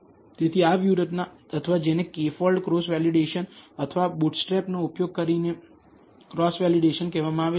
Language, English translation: Gujarati, So, these strategies or what are called cross validation using a k fold cross validation or a bootstrap